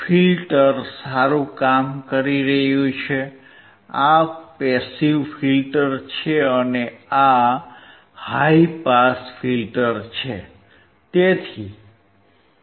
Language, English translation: Gujarati, Filter is working fine, this is passive filter and these high pass filter